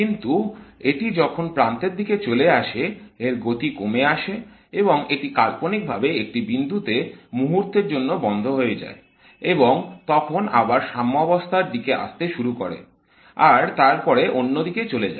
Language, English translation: Bengali, But as it goes towards the extreme, it slows down and it virtually stops there for a moment and then comes back to equilibrium and then goes to the other direction